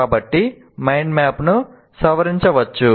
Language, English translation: Telugu, So one can modify the mind map